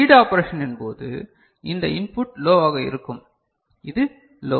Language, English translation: Tamil, So, during read operation this input will be low, this is low